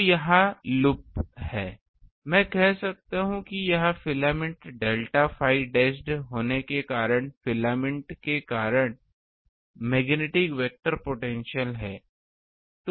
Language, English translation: Hindi, So so this is the loop I can say this is ah the magnetic vector potential due to filament at due to filament delta phi dashed